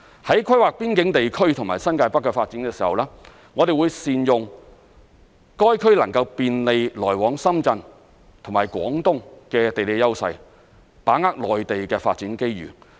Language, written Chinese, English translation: Cantonese, 在規劃邊境地區和新界北的發展時，我們會善用該區能夠便利來往深圳及廣東的地理優勢，把握內地的發展機遇。, In the course of planning the development of the boundary areas and the New Territories North we will take the geographical advantages of these areas as they are in close proximity of Shenzhen and Guangdong which can provide convenience to travellers